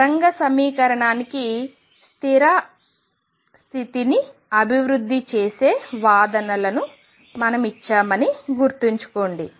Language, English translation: Telugu, Remember we gave the arguments developing the stationary state to wave equation